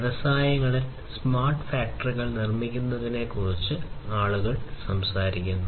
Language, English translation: Malayalam, People are talking about making smart factories in the industries